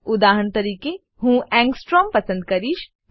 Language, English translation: Gujarati, For example, I will choose Angstrom